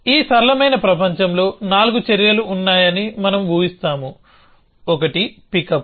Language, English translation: Telugu, So, in this simple world we will assume that there are 4 actions, one is pickup